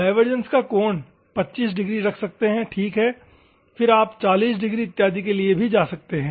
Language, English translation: Hindi, The angle of divergence you can go for 25 degrees ok, then you can also go for 40 degrees and another thing